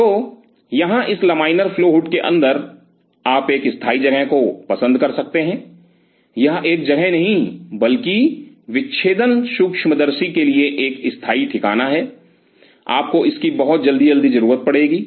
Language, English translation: Hindi, So, out here inside this laminar flow hood, you may prefer to have a permanent fixture or a not a fixture a permanent location for dissecting microscope, you will be needing this pretty frequently